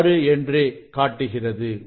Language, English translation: Tamil, 6 reading is 2